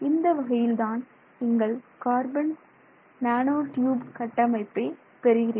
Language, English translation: Tamil, So that is how you arrive at the graphene, sorry, the carbon nanotube structure